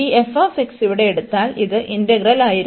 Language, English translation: Malayalam, So, if we take this f x here, which was the integral